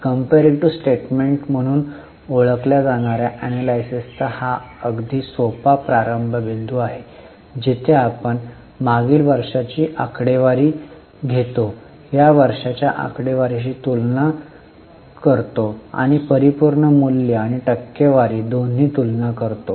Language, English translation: Marathi, This is a very simple starting point of analysis known as comparative statement where we take last year's figure and compare it with this year's figures and do comparison both in absolute value and also in percentage